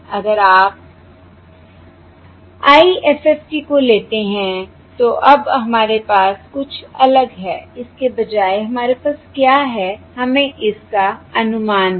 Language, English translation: Hindi, Now, if you take the IFFT, now, what we have a something slightly different instead of this